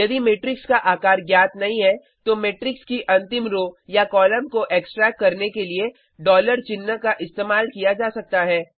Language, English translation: Hindi, If the size of the matrix is not known $ symbol can be used to extarct the last row or column of that matrix